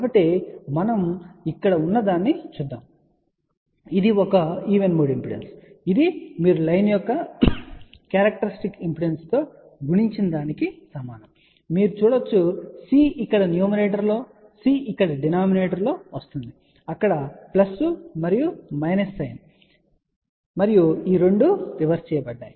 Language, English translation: Telugu, Which is equivalent to characteristic impedance of the line multiplied by you can see over here C is coming in the numerator here C is in the denominator plus and minus sign is there and these 2 are reversed